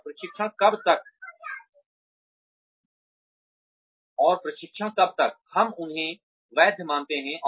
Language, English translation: Hindi, And, how long will the training, we give them be valid